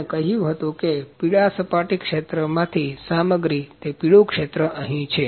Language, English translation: Gujarati, We have asked a material from the yellow surface area where yellow area here